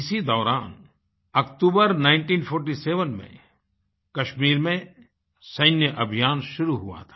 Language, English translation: Hindi, Around this time, military operations commenced in Kashmir